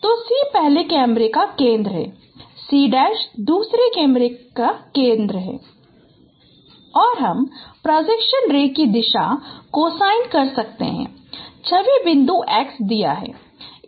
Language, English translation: Hindi, So C is the center of the first camera, C prime is the center of the second parameter and we can compute the direction cosine of the projection ray given the image point x